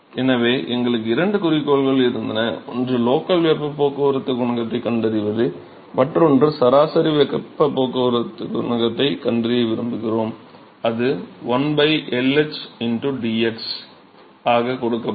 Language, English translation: Tamil, So, we had two objectives one is we find the local heat transport coefficient, we want to find the average heat transport coefficient and that is simply given by one by L h into dx